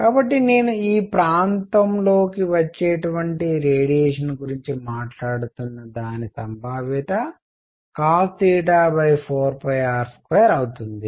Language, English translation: Telugu, So, the probability that I was talking about that radiation comes into this area is going to a cosine theta divided by 4 pi r square, alright